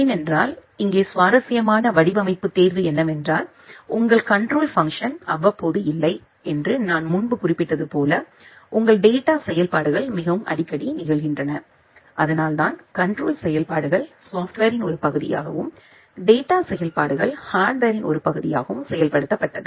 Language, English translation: Tamil, Because here the interesting design choice is that as I mentioned earlier that your control functionalities not so frequent whereas, your data functionalities are very frequent and that is why the control functionalities we generally implement as a part of a software whereas, the data functionalities they are implemented as a part of the hardware